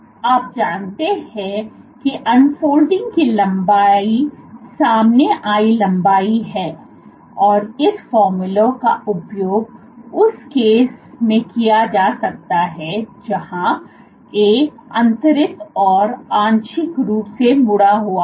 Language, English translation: Hindi, So, you know the unfolding length unfolded length, and this formula can also be used for the case where A is unstructured, plus partially folded